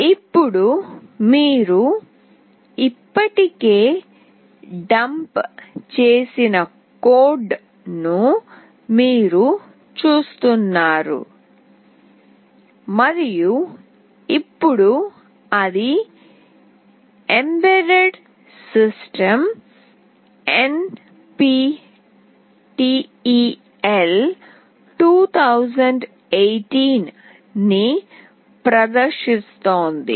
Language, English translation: Telugu, Now you see the code we have already dumped and now it is displaying “embedded system NPTEL 2018”